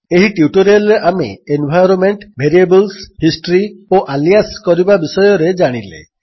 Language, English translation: Odia, So, in this tutorial, you have learned about environment variables, history and aliasing